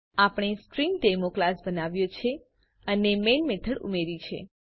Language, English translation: Gujarati, We have created a class StringDemo and added the main method